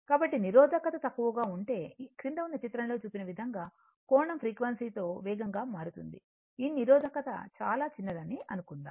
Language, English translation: Telugu, So, if the resistance is low suppose if the resistance is low the angle changes more rapidly with the frequency as shown in figure below suppose this resistance is very small